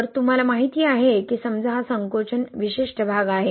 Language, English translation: Marathi, So you know suppose this is the shrinkage, particular region, right